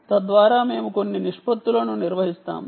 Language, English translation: Telugu, ah, we will maintain certain proportions